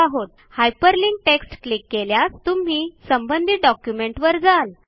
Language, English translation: Marathi, Now clicking on the hyperlinked text takes you to the relevant document